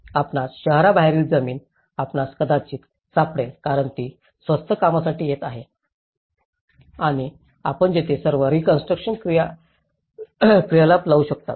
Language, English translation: Marathi, You might find a land outside of the city you might because it was coming for cheap and you might put all the reconstruction activity there